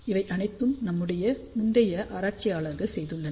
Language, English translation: Tamil, All those things have been done by our earlier researchers